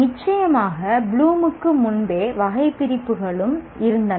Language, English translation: Tamil, Of course there was taxonomies prior to Bloom as well